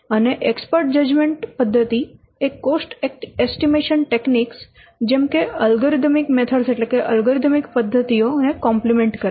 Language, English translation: Gujarati, And the expert judgment method always complements the other cost estimatory methods such as algorithm method